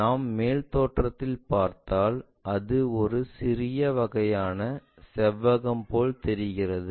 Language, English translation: Tamil, If we are looking from top view it looks like a smaller kind of rectangle